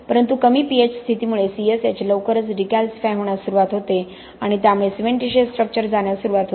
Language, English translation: Marathi, But because of low pH conditions your C S H will very soon start getting decalcified and you will lose your cementitious structure very fast